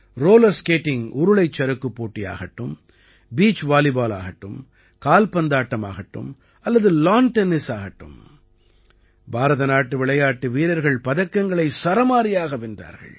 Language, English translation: Tamil, Be it Roller Skating, Beach Volleyball, Football or Lawn Tennis, Indian players won a flurry of medals